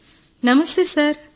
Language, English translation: Telugu, Shirisha ji namastey